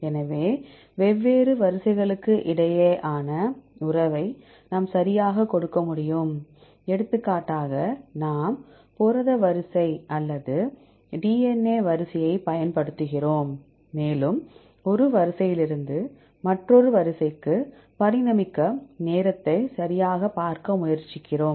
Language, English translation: Tamil, So, we can give the relationship among different sequences right, for example, we use the protein sequence or the DNA sequence and also we try to see the time right, to evolve from one sequence to another sequence